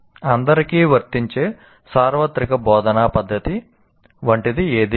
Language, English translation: Telugu, So there is nothing like a universal instructional method that is applicable to all